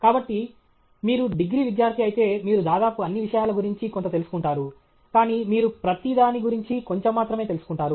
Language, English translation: Telugu, So, if you are an undergraduate student, you almost you get to know something about everything, but you get to know little about everything okay